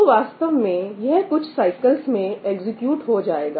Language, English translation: Hindi, So, actually it is going to be a few cycles that are going to execute, right